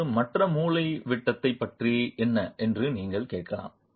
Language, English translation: Tamil, Now you might ask what about the other diagonal